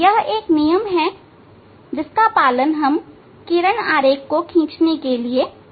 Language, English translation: Hindi, if you follow some rules then it is easy to draw the ray diagram